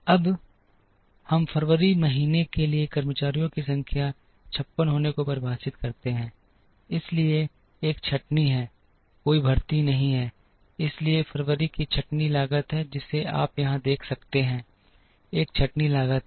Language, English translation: Hindi, Now, we define workforce to be 56 for the month of February, so there is a layoff there is a no hiring, so February has a layoff cost that you can see here, there is a layoff cost